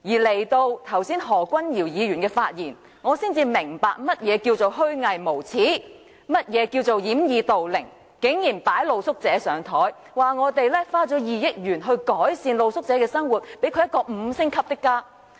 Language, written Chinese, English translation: Cantonese, 直到何君堯議員剛才發言，我才明白何謂虛偽無耻，何謂掩耳盜鈴，他竟然將露宿者"擺上檯"，說政府花了2億元改善露宿者的生活，讓他們有五星級的家。, It is not until I hear Dr Junius HOs speech just now that I understood what is meant by hypocritical shameless and playing ostrich . He dared put street sleepers in the limelight saying that the Government spent 200 million to improve their living environment and provide a five - star home for them